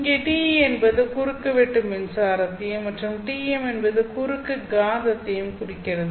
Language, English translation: Tamil, Here T E stands for transfers electric and T M stands for transverse magnetic